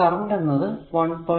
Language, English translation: Malayalam, So, current is 1